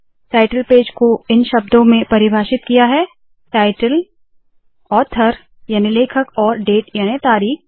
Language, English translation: Hindi, And the title page is defined in terms of title, author and date